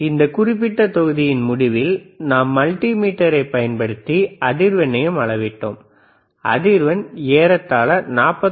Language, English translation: Tamil, Then at the end of that particular module, we were also able to see the frequency, which we were able to measure around 49